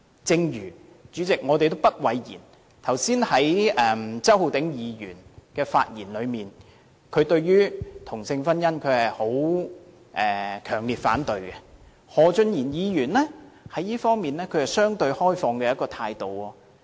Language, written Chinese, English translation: Cantonese, 主席，我們也不諱言，正如剛才周浩鼎議員的發言，可見他對同性婚姻是強烈反對的，而何俊賢議員則在這方面持相對開放的態度。, Judging from what Mr Holden CHOW said earlier he is strongly opposed to same - sex marriage while Mr Steven HO is relatively more open - minded in this regard